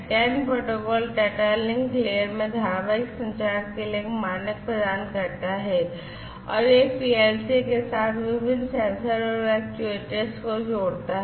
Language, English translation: Hindi, And, this CAN protocol provides a standard for serial communication in the data link layer and it links different sensors, actuators, with PLCs and so on